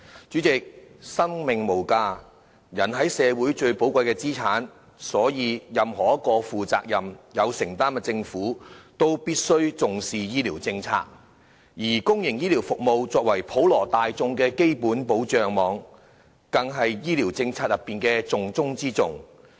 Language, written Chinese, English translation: Cantonese, 主席，生命無價，人是社會最寶貴的資產，所以任何一個負責任、有承擔的政府，都必須重視醫療政策，而公營醫療服務作為普羅大眾的基本保障網，更是醫療政策的重中之重。, People are the most valuable asset of society . Therefore any responsible and government of commitment must attach importance to healthcare policies . As the basic protection net for the general public public healthcare services are the top priority of healthcare policies